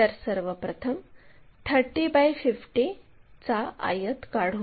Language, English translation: Marathi, So, first of all construct 30 by 50 rectangle